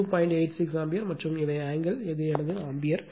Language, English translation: Tamil, 86 degree 8 6 ampere and these are the angle right, so this is ampere ampere